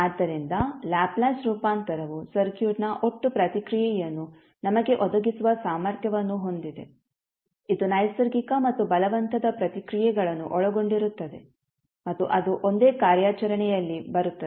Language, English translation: Kannada, So Laplace transform is capable of providing us the total response of the circuit, which comprising of both the natural as well as forced responses and that comes in one single operation